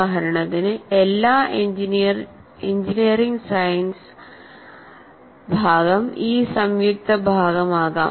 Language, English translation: Malayalam, For example, all of engineering science part can be brought here